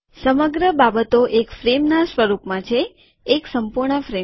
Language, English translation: Gujarati, The whole thing is in the form of a frame – a complete frame